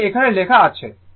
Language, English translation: Bengali, That is what is written here, right